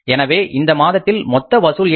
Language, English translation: Tamil, So what are the total collections here in this month